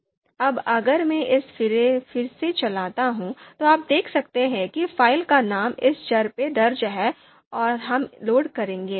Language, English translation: Hindi, Now if I run this again, then you can see name of the file is you know recorded in this variable and we will load this